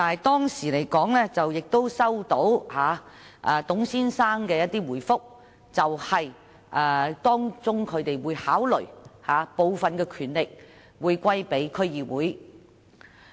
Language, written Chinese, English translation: Cantonese, 當時，我收到董先生的回覆，指他們會考慮將部分權力轉授區議會。, At that time I received a reply from Mr TUNG stating that they would consider transferring some of the powers to DC